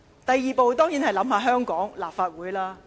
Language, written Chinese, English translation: Cantonese, 第二步，當然是要考慮香港立法會的形勢。, The second step of course involves the assessment of the state of affairs in the Hong Kong legislature